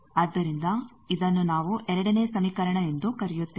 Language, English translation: Kannada, So, this we are calling second equation